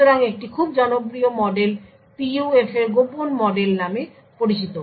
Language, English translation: Bengali, So one very popular model is something known as the secret model of PUF